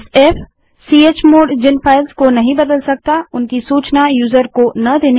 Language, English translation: Hindi, f: Do not notify user of files that chmod cannot change